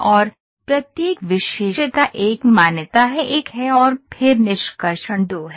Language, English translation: Hindi, And, each feature is a recognition is one and then extraction is 2